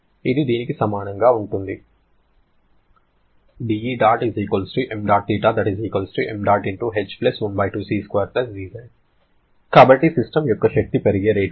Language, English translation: Telugu, So, this is the rate at which energy of the system will increase